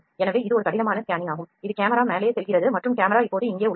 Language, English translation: Tamil, So, this is a rough scanning the camera is going up and down camera is here now